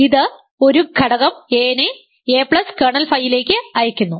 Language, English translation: Malayalam, This simply sends an element a to a plus kernel phi